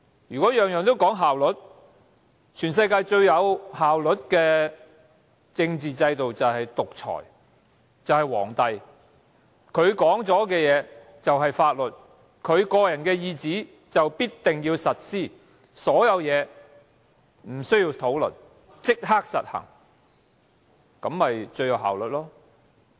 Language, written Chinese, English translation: Cantonese, 如果每件事都只求效率，全世界最有效率的政治制度便是獨裁和帝制，皇帝說的話便是法律，他的聖旨必定要實施，所有事情無須討論，立即實行，這樣最有效率。, If efficiency is all that matters in everything the most efficient political systems of the whole world would be autocracy and monarchy . These systems are indeed most efficient as the words of an emperor equate laws and his imperial decrees necessitate immediate enforcement leaving no room for discussion on all matters